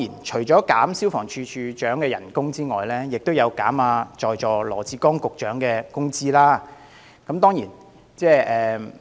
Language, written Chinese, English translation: Cantonese, 除了削減消防處處長的薪酬外，修正案亦要求削減在座羅致光局長的薪酬。, Apart from the Director of Fire Services Secretary Dr LAW Chi - kwong is another victim of their pay cut amendments